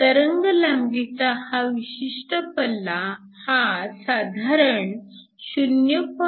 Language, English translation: Marathi, The typical wavelength range goes from around 0